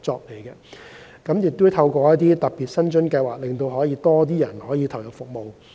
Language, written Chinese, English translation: Cantonese, 我們也會透過特別的薪津計劃，讓更多人投入服務。, We will also attract more people to provide dedicated services through special remuneration packages